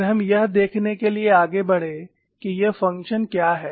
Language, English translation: Hindi, Then, we moved on to look at what are these functions F